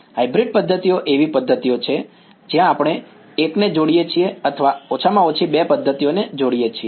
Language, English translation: Gujarati, Hybrid methods are methods where we combine one or combine at least two methods